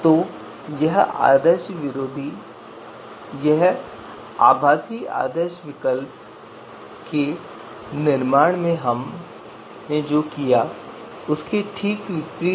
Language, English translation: Hindi, So it is just reverse of what we did in the construction of virtual ideal alternative